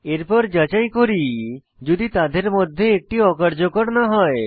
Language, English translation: Bengali, Then, we validate if either of them is not null